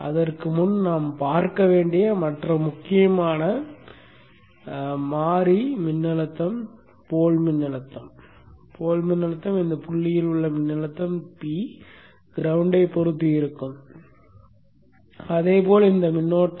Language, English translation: Tamil, And before that, the other important variable voltage that we need to see is the pole voltage, the voltage at this point with respect to the ground and then the currents that is the inductor current